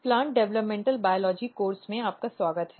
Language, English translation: Hindi, Welcome back to Plant Developmental Biology course